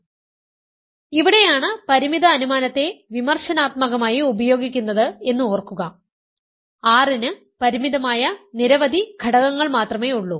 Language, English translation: Malayalam, So, remember this is where the finiteness assumption is critically used, R has only finitely many elements say n of them